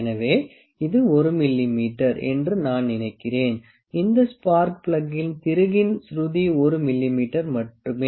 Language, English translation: Tamil, So, it I think it is 1 mm, the pitch of this screw of this spark plug is 1 mm only